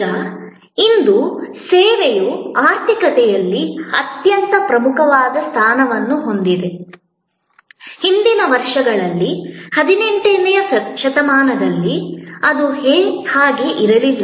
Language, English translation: Kannada, Now, though today, service has very paramount, very prominent position in the economy, in the earlier years, in 18th century, it was not so